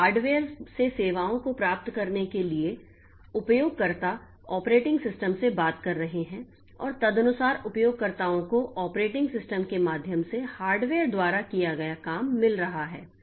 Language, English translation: Hindi, So, to get the services from the hardware, users are talking to the operating system and accordingly the users are getting the job done by the hardware through the operating system